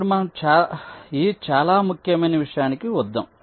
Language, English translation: Telugu, ok, now let us come to this very important thing